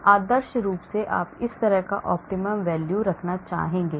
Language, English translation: Hindi, And ideally you would like to have that sort of optimum value